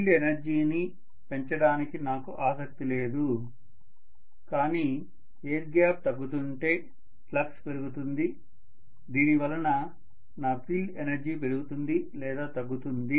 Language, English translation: Telugu, I am not interested in increasing the field energy but if the air gap is decreasing, maybe the flux will increase due to which maybe my field energy will increase or decrease that is just incidental